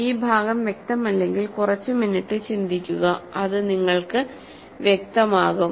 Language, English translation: Malayalam, So, this part if it is not clear just think about it for a few minutes and it will become clear to you